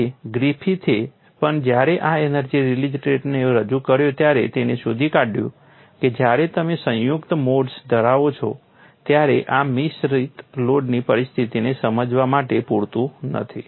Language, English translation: Gujarati, So, even Griffith when he propounded this energy release rate, he found when you have a combine modes, this may not be sufficient to explain the next mode situation